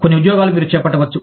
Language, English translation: Telugu, Some jobs, that you can undertake